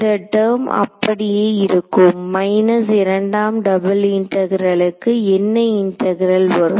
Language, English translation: Tamil, So, this term will remain as it is minus so the second the double integral will become a what integral